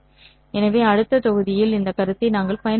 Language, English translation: Tamil, So in the next module we will be utilizing these concepts